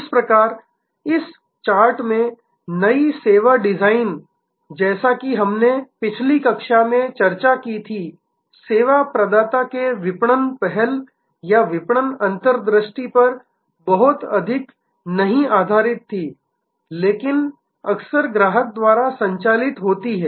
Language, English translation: Hindi, So, new service design in this chart as we discussed in the previous class were based on not so much on marketing initiatives or marketing insights of the service provider, but very often driven by the customer